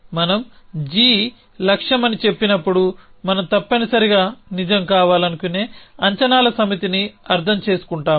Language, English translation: Telugu, Likewise we say a goal so when we say goal g we essentially mean a set of predicates that we want to be true